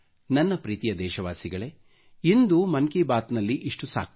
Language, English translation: Kannada, My dear countrymen, this is all that this episode of 'Mann Ki Baat' has in store for you today